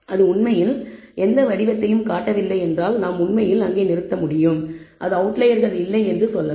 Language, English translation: Tamil, And if that actually shows no pattern we can actually stop there we can say that are no outliers